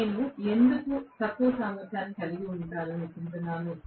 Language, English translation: Telugu, I, why would I like to have, lower efficiency